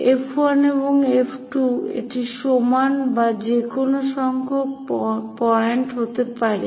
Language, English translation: Bengali, F 1 and F 2 it can be equal or any number of points